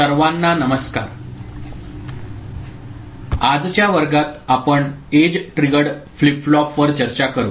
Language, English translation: Marathi, Hello everybody, in today’s class we shall discuss Edge Triggered Flip Flop